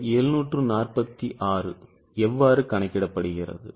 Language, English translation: Tamil, How is this 746 calculated